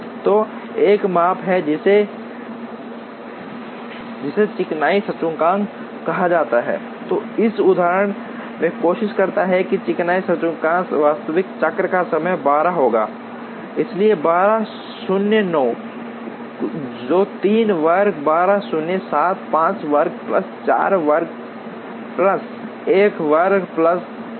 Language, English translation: Hindi, So, there is a measure called smoothness index, which tries to in this example the smoothness index will be the actual cycle time is 12, so 12 minus 9, which is 3 square 12 minus 7, 5 square plus 4 square plus 1 square plus 0